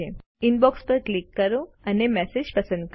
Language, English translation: Gujarati, Click on Inbox and select a message